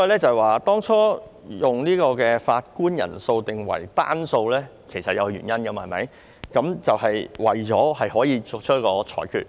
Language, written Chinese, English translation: Cantonese, 所以，當初將法官人數定為單數是有原因的，就是為了作出裁決。, So there must a reason why an odd number of judges was required in the first place and it is for the sake of reaching a decision